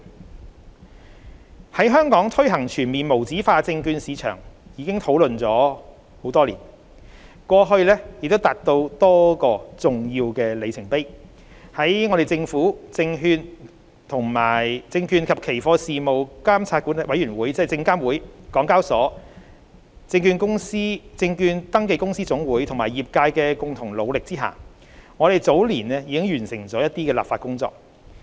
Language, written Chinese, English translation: Cantonese, 對於在香港推行全面無紙化證券市場，我們已討論多年，過去亦已達到多個重要的里程碑。在政府、證券及期貨事務監察委員會、港交所、證券登記公司總會有限公司和業界的共同努力下，我們早年已完成了一些立法工作。, The full implementation of USM in Hong Kong has been discussed for years and a few milestones have been reached in the past with some legislative work completed in earlier years under the concerted efforts of the Government the Securities and Futures Commission SFC HKEX the Federation of Share Registrars Limited FSR and the industry